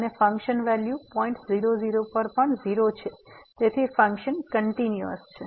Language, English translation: Gujarati, And the function value at is also 0, so the function is continuous; function is continuous